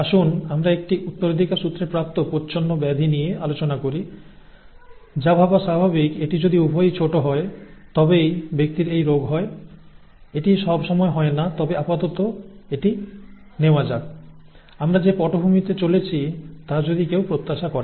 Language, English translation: Bengali, Let us take the case of a recessively inherited disorder, okay, which is what would be natural to think if it is both small then the person has the disease, that is not always the case but let us, let us take that for the time being, that is what would be, that is what one would expect given the background that we have been through